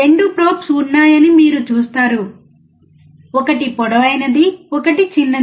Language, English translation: Telugu, You see there are 2 probes: one is longer; one is shorter